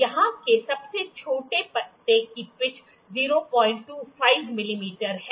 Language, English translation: Hindi, The smallest leaf here has the pitch 0